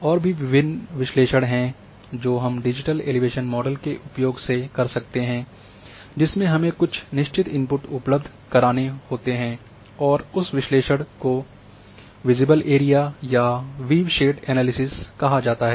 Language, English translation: Hindi, Another analysis which we can do using digital elevation model and some certain input we have to provide and that analysis is called visible area and viewshed analysis